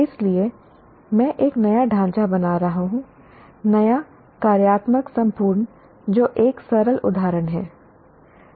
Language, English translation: Hindi, So I am creating a new structure, new functional whole